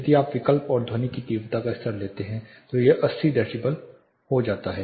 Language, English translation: Hindi, If you substitute and take the sound intensity level it becomes 80 decibels